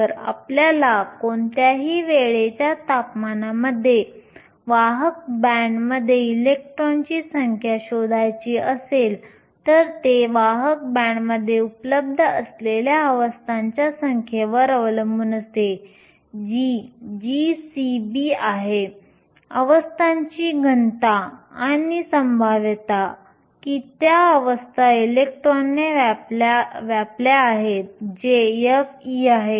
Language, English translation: Marathi, If you want to find the number of electrons in the conduction band at any given time temperature it is going to depend on the number of states that are available in the conduction band, which is g c of e, the density of states and the probability that those states are occupied by the electron, which is f of e